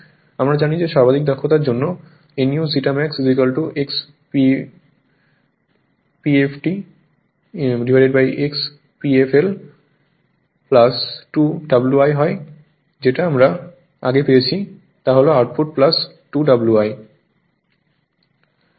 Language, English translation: Bengali, We know that for maximum efficiency nu zeta max is equal to X p f l upon X p f l plus 2 W i that we have derived that is output by output plus 2 W i right